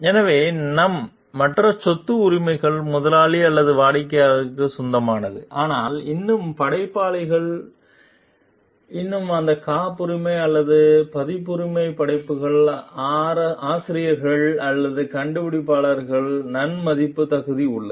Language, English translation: Tamil, So, our other property rights belongs to the employer or the client, but still there is the creators still have deserve the credit as the authors or inventors of those patented or copyrighted creations